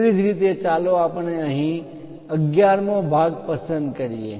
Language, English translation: Gujarati, Similarly, let us pick 11th part here